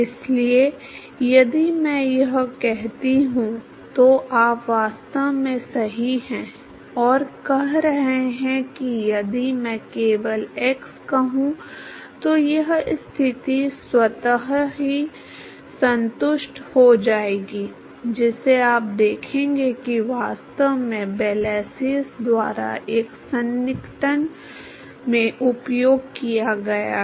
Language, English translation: Hindi, So, if I say that, your are indeed right and saying that if I simply say at all x this condition will automatically satisfy, which you will see has been actually used by Blasius in one of the approximations